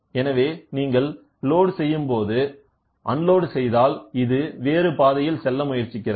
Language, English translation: Tamil, So, you load when you try to unload it tries to take a different path